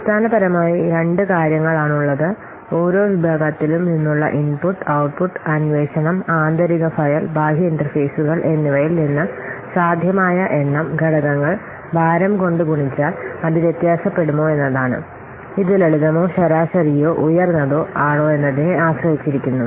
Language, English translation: Malayalam, The possible number of elements from each category, input, output, inquiry, then internal file and external interfaces multiplied by the multiplier the weight which is whether it will vary depending on whether it is simple or average or what high